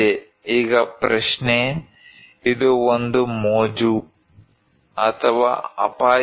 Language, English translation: Kannada, Now the question, is it a fun or danger